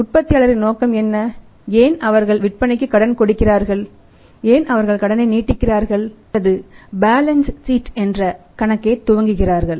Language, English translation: Tamil, Why are motives of the manufacturer's, why they want to say give the credits are they want to sell on the credit why they are extending the credit or by their creating the accounts receivables in the balance sheet